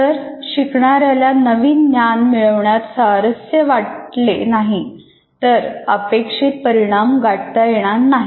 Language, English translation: Marathi, If they are not engaging, if new knowledge, they will not attain the intended learning outcome